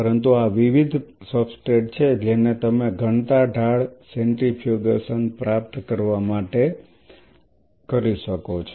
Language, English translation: Gujarati, But these are the different substrate you can call them to achieve a density gradient centrifugation